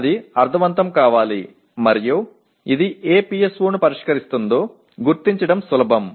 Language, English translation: Telugu, That should make sense and it should be easier to identify which PSO it addresses